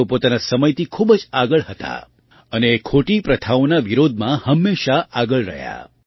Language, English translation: Gujarati, She was far ahead of her time and always remained vocal in opposing wrong practices